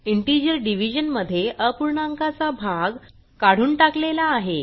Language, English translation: Marathi, We can see that in integer division the fractional part is truncated